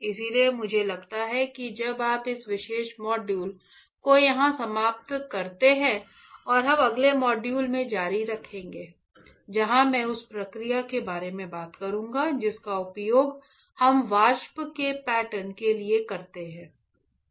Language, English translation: Hindi, So, what I feel is now let us end this particular module here and we will continue in the next module where I will talk about the process that we use to pattern the vapor